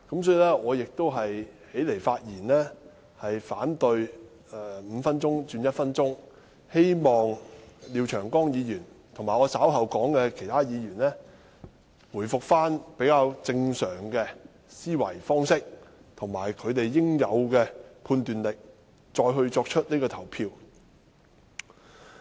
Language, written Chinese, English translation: Cantonese, 所以，我起來發言反對把點名表決鐘聲由5分鐘縮短至1分鐘，希望廖議員及我稍後提到的其他議員，能恢復比較正常的思維方式及其應有的判斷力再作投票。, Hence I rise to speak against the shortening of the duration of the division bell from five minutes to one minute . It is hoped that Mr LIAO and the other Members I am going to mention will regain their normal mentality and usual analytical power before casting their votes